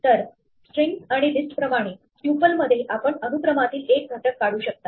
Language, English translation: Marathi, So, like strings and list, in a tuple you can extract one element of a sequence